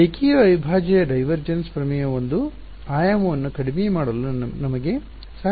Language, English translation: Kannada, Line integral right the divergence theorem helps us to reduce one dimension